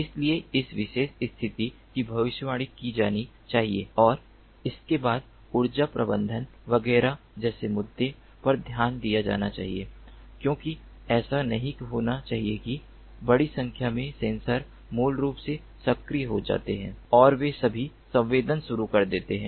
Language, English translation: Hindi, so this particular position position has to be predicted and thereafter issues such as energy management, etcetera, etcetera have to be taken care of, because it should not happen that large number of sensors basically are activated and they all start sensing